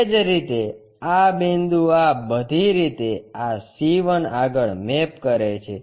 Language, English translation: Gujarati, Similarly, this point all the way mapped to this C 1